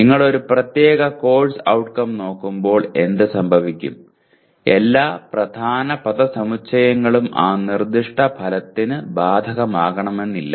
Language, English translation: Malayalam, And what happens when you look at a particular Course Outcome, all the key phrases may not be applicable to that particular stated outcome